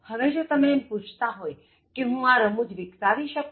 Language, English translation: Gujarati, Now, if you ask me the question can I develop humour